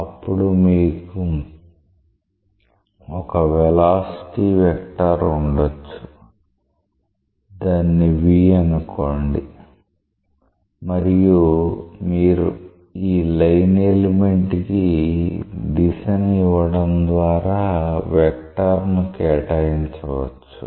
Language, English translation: Telugu, So, you may have a velocity vector; say v and you may assign a vector to this line element by giving it a directionality